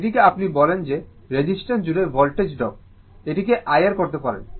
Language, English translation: Bengali, This is what you call that voltage drop across the resistance; we can make this I R